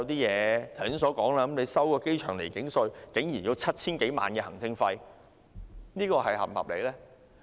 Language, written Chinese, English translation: Cantonese, 剛才提到的處理機場離境稅竟然要 7,000 多萬元行政費，這是否合理呢？, The air passenger departure tax administration fees mentioned just now cost us more than 70 million . Is this reasonable?